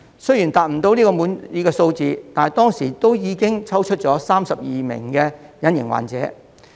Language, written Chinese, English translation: Cantonese, 雖然無法達到滿意的數字，但當時亦抽出了32名隱形患者。, Although the Programme failed to achieve a satisfactory participation rate it found 32 asymptomatic cases